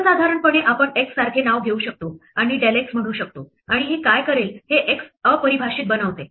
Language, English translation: Marathi, In general we can take a name like x and say del x and what this will do is make x undefined